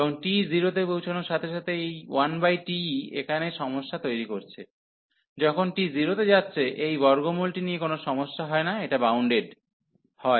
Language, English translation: Bengali, And as t approaching to 0, so as t approaching to 0, whereas the problem this 1 over t is creating problem here there is absolutely no issues this square root, when t approaching to 0 is bounded